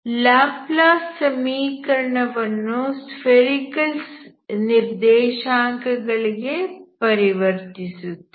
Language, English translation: Kannada, You convert the Laplace equation in terms of spherical coordinates